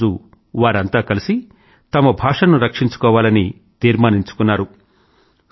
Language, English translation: Telugu, And then, one fine day, they got together and resolved to save their language